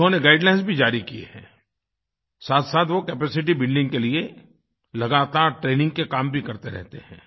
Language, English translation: Hindi, They have issued guidelines; simultaneously they keep imparting training on a regular basis for capacity building